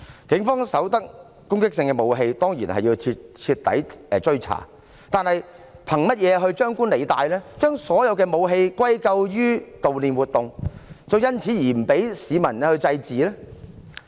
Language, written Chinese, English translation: Cantonese, 警方搜獲攻擊性武器，當然要徹底追查，但是，憑甚麼張冠李戴，將所有武器歸咎於悼念活動，因此不准市民祭祀呢？, If the Police had seized offensive weapons of course they had to conduct a thorough investigation . Yet on what grounds could they mix one thing with another linking all the weapons to the memorial activities and thus forbid people to pay respects to the deceased?